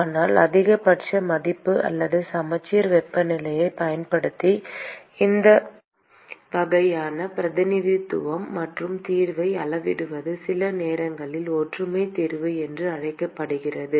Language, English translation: Tamil, But these kinds of representation by using the maximum value or the symmetric temperature and scaling the solution is sometimes called as the similarity solution